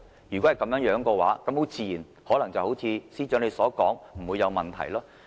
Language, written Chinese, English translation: Cantonese, 如果是這樣，那麼很自然地，可能會像司長所言般，不會有問題。, That being the case it is only natural to see no problems as advised by the Secretary for Justice